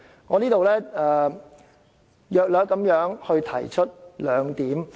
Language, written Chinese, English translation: Cantonese, 我在此大約提出兩點。, I will raise two points here